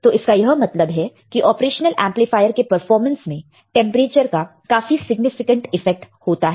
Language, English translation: Hindi, So; that means, that there is the very significant effect of temperature on the performance of the operational amplifier